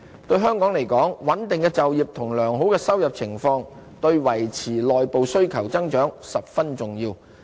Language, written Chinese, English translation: Cantonese, 對香港而言，穩定的就業及良好的收入情況，對維持內部需求增長十分重要。, Stability in the job market and favourable income situation are essential to maintain growth in Hong Kongs domestic demand